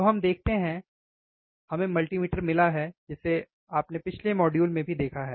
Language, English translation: Hindi, So, let us see, we got the multimeter which you also you have seen in the last module, right this multimeter